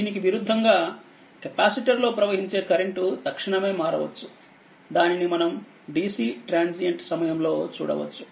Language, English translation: Telugu, Conversely, the current through a capacitor can change instantaneously that will see in the dc transient time right not now